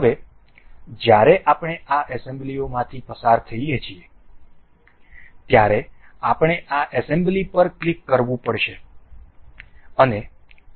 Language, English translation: Gujarati, Now when we are going through this assembly we have to click on this assembly and ok